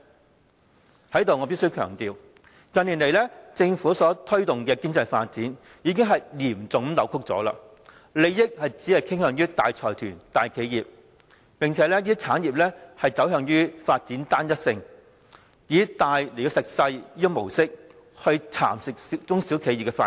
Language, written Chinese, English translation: Cantonese, 在這裏我必須強調，近年來政府所推動的經濟發展，已是嚴重扭曲的，利益只向大財團、大企業傾斜，兼且這些產業發展趨向單一性，以大吃小的模式，蠶食中小企的發展。, I must stress here that Hong Kongs economic development in recent years as promoted by the Government is highly distorted benefits are skewed towards large consortia and enterprises industries are getting homogenous and development of small and medium enterprises is checked as they fall into prey to large enterprises